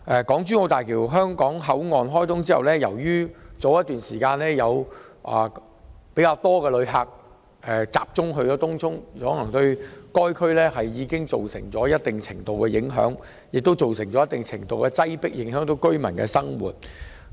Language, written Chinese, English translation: Cantonese, 港珠澳大橋香港口岸開通後，早前有較多旅客前往東涌，對該區造成一定程度的影響和擠迫情況，影響區內居民的生活。, Upon the commissioning of the Hong Kong - Zhuhai - Macao Bridge Hong Kong Port more visitors have flocked to Tung Chung resulting in a certain degree of impact and congestion in the district thereby affecting the lives of the local residents